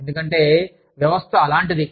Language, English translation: Telugu, Because, the system is such